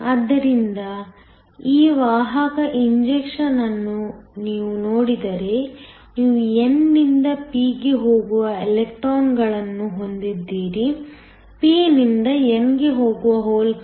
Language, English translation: Kannada, So, this carrier injection if you look at it, you have electrons going from n to p; holes going from p to n